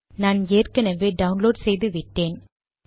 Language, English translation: Tamil, I have already downloaded that